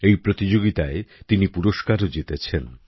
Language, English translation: Bengali, He has also won a prize in this competition